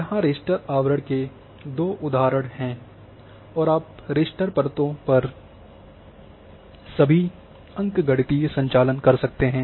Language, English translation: Hindi, Now raster overlay examples are here and you can perform on raster layers all arithmetic operations